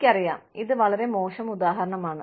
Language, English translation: Malayalam, I know, this is a very poor example